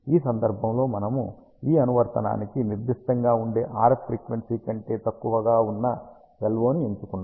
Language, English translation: Telugu, In this case we have chosen LO which is below the RF frequency which might be specific to an application